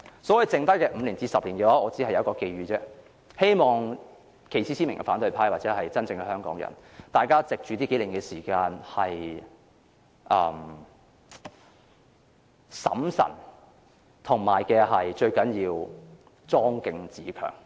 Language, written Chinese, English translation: Cantonese, 在剩下的5至10年，我只有一個寄語，希望旗幟鮮明的反對派或真正的香港人藉這幾年時間，要審慎和莊敬自強。, As for the remaining 5 to 10 years I only have one message I hope that the opposition camp with a clear stance or the real Hongkongers will take time in the next several years to act cautiously and remain solemn and dignified while seeking to strengthen themselves